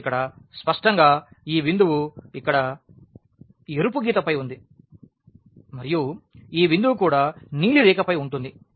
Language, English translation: Telugu, So, here clearly this point here lies on the red line and this point also lies on the blue line